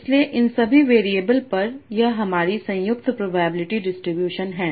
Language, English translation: Hindi, So this is my joint probability distribution over all these variables